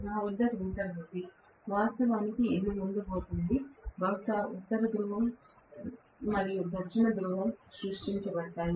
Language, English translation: Telugu, I have the rotor, which is actually going to have, maybe the North Pole and South Pole created